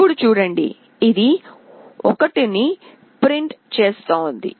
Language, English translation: Telugu, Now see, it is printing 1